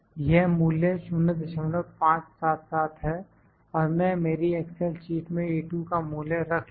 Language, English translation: Hindi, 577 through I will put the value of A2 in my excel sheet